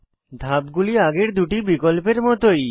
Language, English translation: Bengali, The steps are similar to the earlier two options